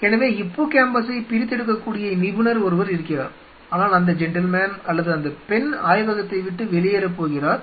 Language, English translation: Tamil, So, somebody is an expert who can isolate hippocampus, but this gentleman or this lady is going to leave the lab